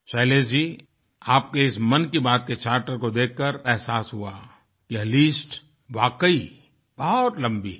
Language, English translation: Hindi, Shailesh ji, you must have realized after going through this Mann Ki Baat Charter that the list is indeed long